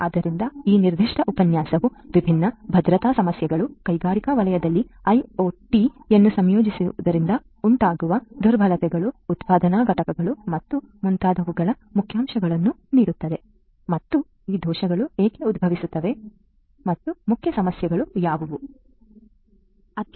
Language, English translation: Kannada, So, this particular lecture will give an highlight of the different security issues, the vulnerabilities that exist due to the incorporation of you know IoT in the industrial sector, manufacturing plants and so on and why these vulnerabilities arise and what are the main issues and so on